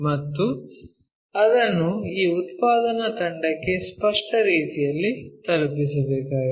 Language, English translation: Kannada, And it has to be conveyed in a clear way to this production team